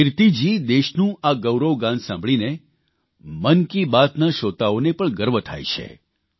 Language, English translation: Gujarati, Kirti ji, listening to these notes of glory for the country also fills the listeners of Mann Ki Baat with a sense of pride